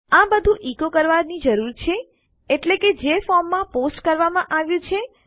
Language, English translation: Gujarati, This is all I need to basically echo out, i.e, what has been posted in a form